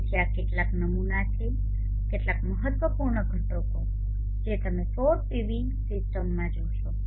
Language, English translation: Gujarati, So these are some of the sample some of the important components that you will see in the solar PV systems